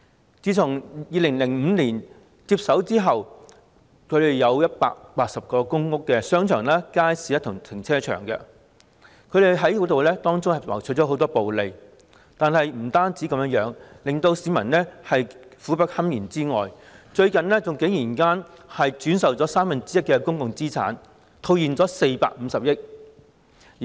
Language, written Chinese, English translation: Cantonese, 領展自2005年接手180個公屋商場、街市及停車場後，不僅從中牟取暴利，令市民苦不堪言，最近竟然轉售三分之一的公共資產，套現450億元。, After taking over 180 shopping arcades markets and car parks in public rental housing PRH estates since 2005 Link REIT has not only reaped exorbitant profits and caused immense sufferings to the people it has even sold one third of its public assets recently cashing in 45 billion